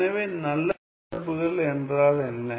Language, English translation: Tamil, So, what are good functions